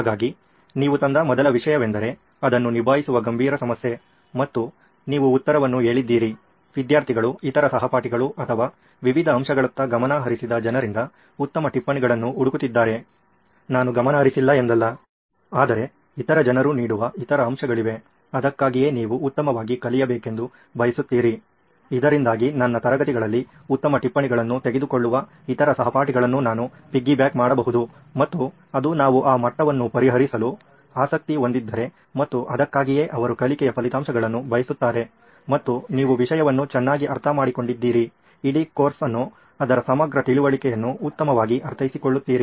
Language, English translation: Kannada, So, that was the first why that you brought in which is a serious problem to tackle and you said the answer was, looking for better notes from students, other classmates or people who have paid attention to various aspects, not like I haven’t paid attention, but there are other aspects that other people are given The why, for that is, well you want better learning out comes, so that I can piggyback off other classmates who take good notes in my class, and that’s the level that we are interested in solving and that is why do they want learning outcomes is well you understand the topic better the entire course its comprehensive understanding out the course better